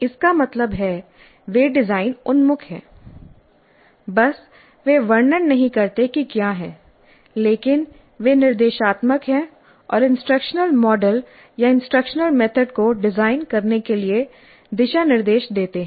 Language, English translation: Hindi, Just they do not describe what is but they are prescriptive and give guidelines for designing the instructional method or instructional model